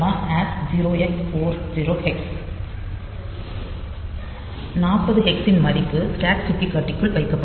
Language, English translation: Tamil, So, the value of 40 hex will be put into the stack pointer